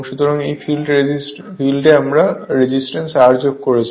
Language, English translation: Bengali, So, in that case we are adding 1 resistance R right